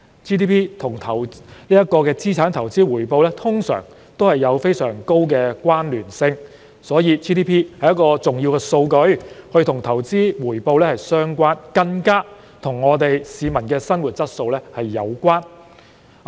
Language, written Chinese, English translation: Cantonese, GDP 與資產投資回報通常都有非常高的關聯性，因此 GDP 是一項重要的數據，與投資回報相關，更與市民的生活質素有關。, Very often GDP is highly correlated with the return on asset investment and is therefore a very important piece of data in relation to investment return and peoples standard of living